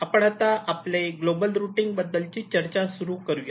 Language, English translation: Marathi, shall now start our discussion on global routing